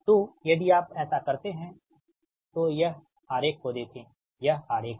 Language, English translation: Hindi, so if you do so, look at this is the diagram, this is the diagram